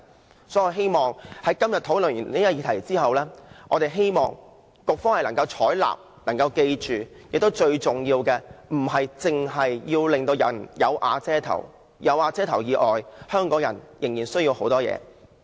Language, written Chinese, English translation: Cantonese, 所以，我很希望經過今天的討論後，局方能夠採納我們的建議，並緊記最重要的是，令市民有瓦遮頭並不足夠，香港人仍有很多其他需要。, Thus I hope that after our discussion today the Policy Bureau will adopt our proposals and remember one point which is most important namely it is not adequate to provide shelters to the people and Hong Kong people have many other needs